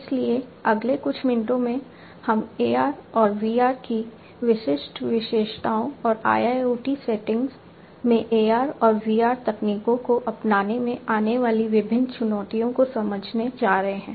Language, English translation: Hindi, So, in the next few minutes, we are going to understand the specific attributes of AR and VR and the different challenges, that are there in the adoption of AR and VR technologies in IIoT settings